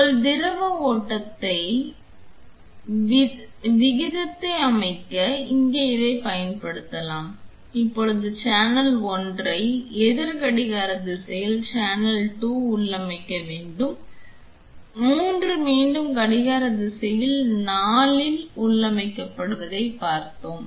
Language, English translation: Tamil, This here can be used to set your the fluid flow rate, now that we have seen channel 1 to be configured channel 2 in the anti clockwise direction, 3 again in the anti clockwise 4 in the anti clockwise direction